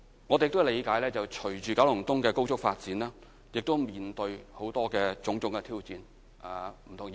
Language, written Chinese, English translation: Cantonese, 我們理解，隨着九龍東的高速發展，我們亦將面對種種挑戰。, We understand that we will face a good deal of challenges as Kowloon East develops rapidly